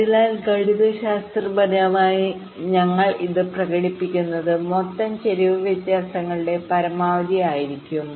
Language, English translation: Malayalam, so mathematically we are expressing it like this: the total skew will be maximum of the differences